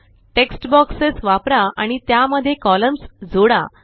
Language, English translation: Marathi, Use text boxes and add columns to it